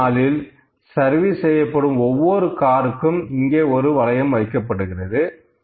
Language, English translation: Tamil, So, each car they are servicing, they are putting a ring here